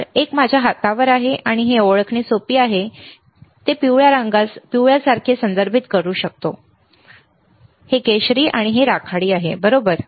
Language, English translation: Marathi, So, one is on my hand, and it is easy to identify I can refer like it is yellow, right this is orange and gray, right